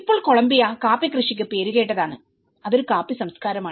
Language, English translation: Malayalam, Now Columbia is known for its coffee growing, it’s a coffee culture